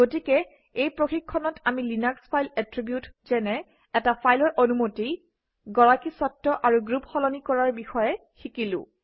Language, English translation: Assamese, So in this tutorial we have learnt about the Linux Files Attributes like changing permission, ownership and group of a file